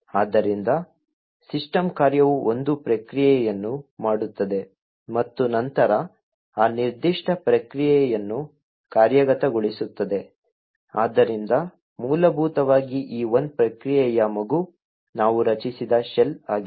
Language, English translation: Kannada, So, what the system function does is that it forks a process and then executes that particular process, so essentially the child of this one process is the shell that we have just created